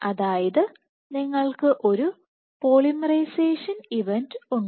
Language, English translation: Malayalam, Let us assume at position 10 you have a polymerization event